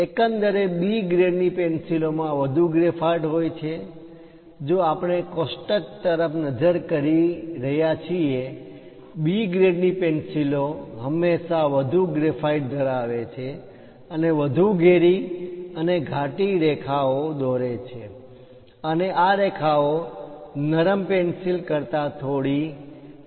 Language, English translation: Gujarati, Over all B grade pencils contains more graphite; if we are looking at the table, B always contains more graphite and make a bolder and darker lines, and these lines are little smudgier than light pencil